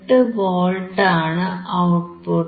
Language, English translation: Malayalam, 68V, your input is 5